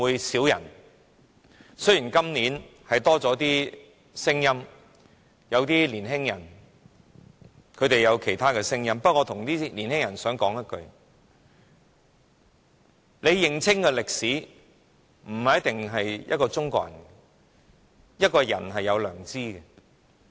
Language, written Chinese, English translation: Cantonese, 誠然，今年有些年輕人表達了其他聲音，不過，我想對這些年輕人說一句話：你不一定要是中國人才能認清這段歷史，人是有良知的。, It is true that some youngsters have expressed a dissenting view this year but I have this to say to these youngsters you do not have to be a Chinese to have a clear understanding of this episode in history for everyone has a conscience